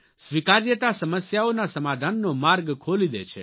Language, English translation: Gujarati, Acceptance brings about new avenues in finding solutions to problems